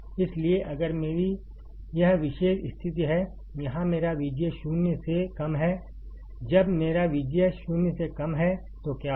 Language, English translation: Hindi, So, if I have this particular condition where my V G S is less than 0, when my V G S is less than 0, what will happen